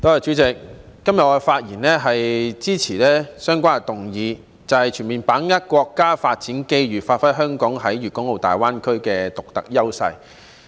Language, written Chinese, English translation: Cantonese, 主席，今天我發言支持相關議案，即"全面把握國家發展機遇，發揮香港在粵港澳大灣區的獨特優勢"。, President today I speak in support of the motion on Fully seizing the national development opportunities to give play to Hong Kongs unique advantages in the Guangdong - Hong Kong - Macao Greater Bay Area